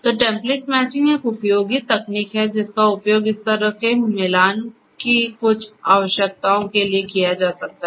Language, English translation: Hindi, So, template matching is a useful technique that could be used for some kind of necessities like this template